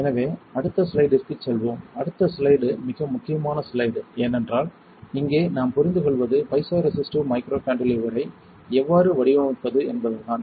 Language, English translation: Tamil, So, let us go to the next slide and next slide is a very important slide, because here what we are understanding is how to design a piezoresistive microcantilever